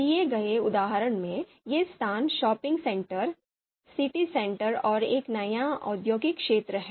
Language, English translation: Hindi, So these locations are shopping centre, city centre and a new industrial area